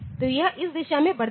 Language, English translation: Hindi, So, it grows in this direction